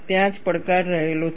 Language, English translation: Gujarati, That is where the challenge lies